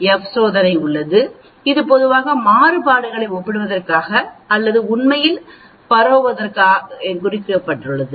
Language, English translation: Tamil, And there is something called F test, which is generally meant for comparing variances or spreads actually